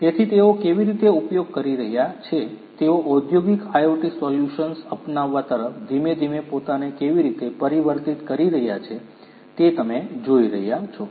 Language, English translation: Gujarati, So, you know how they are using, how they are transforming themselves gradually gradually towards the adoption of industrial IoT solutions you are going to see that